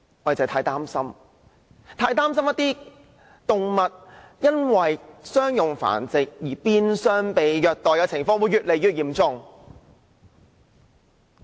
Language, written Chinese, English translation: Cantonese, 我們很擔心動物因商業繁殖而變相被虐待的情況會越來越嚴重。, We are very worried that the maltreatment of animals arising from commercial breeding will become increasingly serious